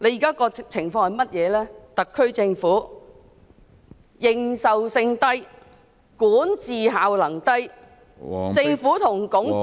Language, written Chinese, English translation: Cantonese, 就是特區政府認受性低、管治效能低、政府和......, The legitimacy of the SAR Government is low the effectiveness of its governance is low and the Government